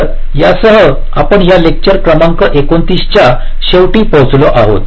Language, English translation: Marathi, so with this we come to the end of ah, this lecture number twenty nine